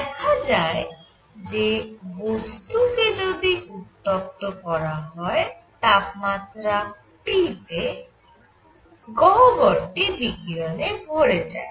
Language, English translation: Bengali, So, what is seen is that if the body is heated to a temperature T, it fills the cavity with radiation